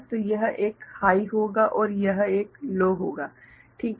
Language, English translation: Hindi, So, this one will be high and this one will be low right